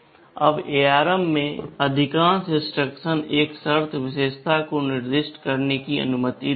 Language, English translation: Hindi, Now most instruction in ARM allows a condition attribute to be specified